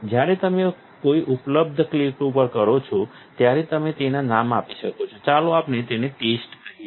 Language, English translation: Gujarati, When you click an available one, you can give it a name, let us call it test